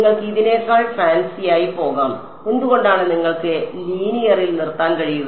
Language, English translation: Malayalam, You can even go fancier than this, why stop at linear you can also